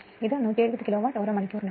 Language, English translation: Malayalam, So, it is 170 Kilowatt hour